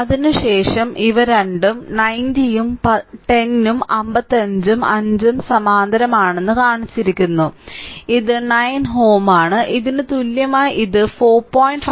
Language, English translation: Malayalam, After that these two are shown 90 and 10 and 55 and 5 are in parallel, then this is 9 ohm and equivalent to this it is coming 4